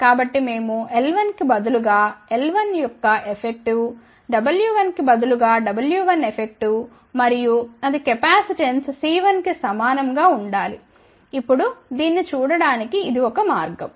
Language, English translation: Telugu, So, we can say that instead of l 1, we take l 1 affective instead of taking w 1, we take w 1 affective and that should be equivalent to the capacitance C 1